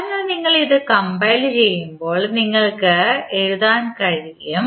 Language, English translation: Malayalam, So, when you compile this, what you can write